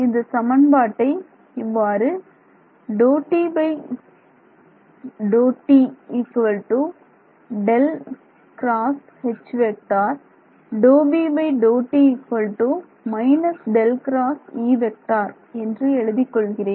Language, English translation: Tamil, So, now, let us just rewrite equation one over here